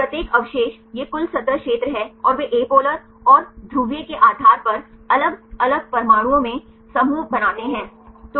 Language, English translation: Hindi, So, each residue this is a total surface area and they group into different atoms based on the apolar and the polar